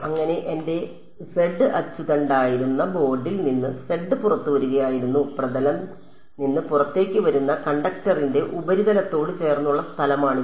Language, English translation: Malayalam, So, z was coming out of the board that was my z axis; and e z is which where it is purely along the surface of the conductor that is coming out of the plane